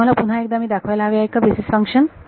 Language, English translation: Marathi, Do you want me to show you the basis function again